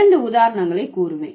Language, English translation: Tamil, I'll give you two examples